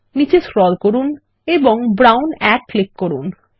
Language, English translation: Bengali, Scroll down and click on Brown 1